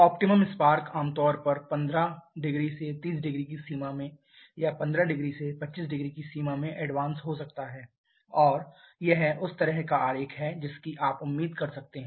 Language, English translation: Hindi, Optimum spark is advanced generally in the range of 15 to 30 degree maybe in the range of 15 to 25 and this is the kind of diagram that you may expect